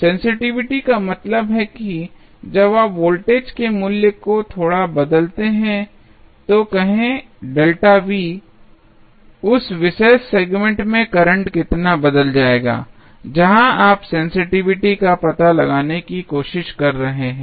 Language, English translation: Hindi, Sensitivity means, when you change the value of voltage a little bit say delta V, how much the current will change in that particular segment, where you are trying to find out the sensitivity